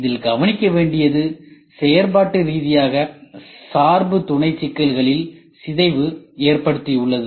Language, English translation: Tamil, We should note down this point functionally dependent sub problems ok